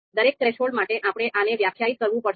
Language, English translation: Gujarati, So for each threshold, we are to be we have to define this